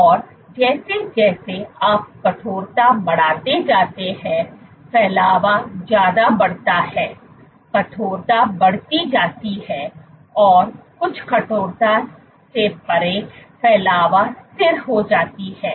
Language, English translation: Hindi, And as you increase the stiffness spreading increases and beyond some stiffness spreading is constant